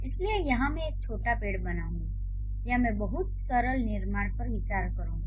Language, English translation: Hindi, So, here I'll draw a small tree of or I would take or I would consider a very simple construction